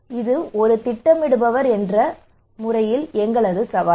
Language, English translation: Tamil, So this is our challenge as a planner right